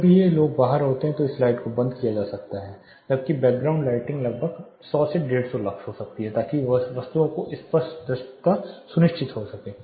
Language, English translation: Hindi, Whenever this people are out this lights can be turned off, where as the background lighting can just be around 100 150 lux, as to ensure clear visibility of objects